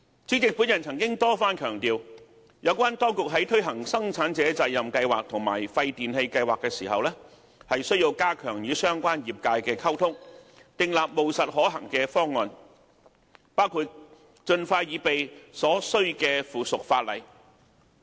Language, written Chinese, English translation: Cantonese, 主席，我曾多番強調，當局在推行生產者責任計劃和廢電器計劃的時候，需加強與相關業界的溝通，訂立務實可行的方案，包括盡快擬備所需的附屬法例。, President I have repeatedly emphasized that in the implementation of PRSs and WPRS the Administration should strengthen its communication with the relevant trades and formulate pragmatic and practicable proposals including drafting and preparing the required subsidiary legislation expeditiously